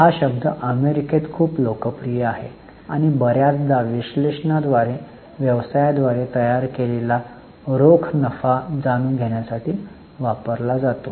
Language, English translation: Marathi, This term is very much popular in US and often used by analysts to know the cash profit generated by the business